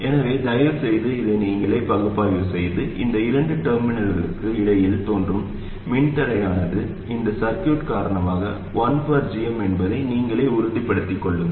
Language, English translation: Tamil, So please analyze this by yourselves and convince yourself that the resistance that appears between these two terminals because of this circuit is 1 by Gm